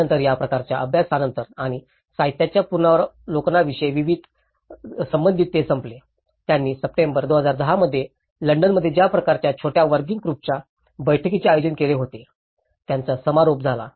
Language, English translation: Marathi, Then, following these case studies and relating to the literature review, they also ended up, they concluded with the kind of small working group meeting which has been held in London in September 2010